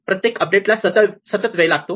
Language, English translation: Marathi, It is a constant time update